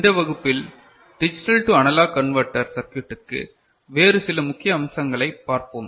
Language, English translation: Tamil, In this class, we shall look at some other important aspects of a digital to analog converter circuit